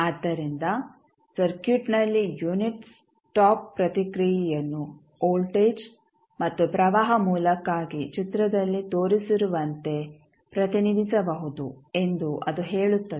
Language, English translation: Kannada, So, that also says that in the circuit the unit stop response can be represented for voltage as well as current source as shown in the figure